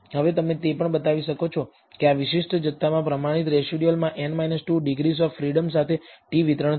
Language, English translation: Gujarati, Now you can also show that this particular quantity the standardized residual will have a t distribution with n minus 2 degrees of freedom